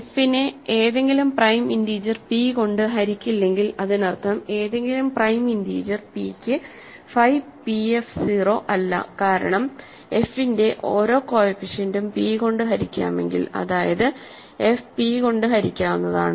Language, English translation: Malayalam, So, if f is not divisible by any prime integer p that means, phi p f f is not 0 for any prime integer p, right because if every coefficient of f is divisible by p which is same as saying f is divisible by p, then the image of f and f p will be 0 because we are going modulo p for each coefficient